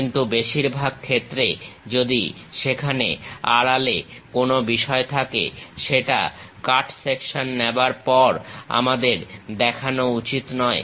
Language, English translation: Bengali, But, most of the cases if there is a hidden thing that we should not show after taking cut section